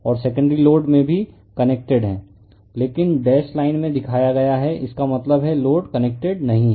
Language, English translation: Hindi, And in the secondary load is also connected, but shown in dash line; that means, load is not connected